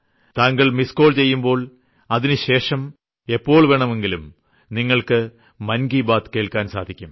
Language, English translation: Malayalam, Just give a missed call and you will be able to listen to Maan Ki Baat whenever you want to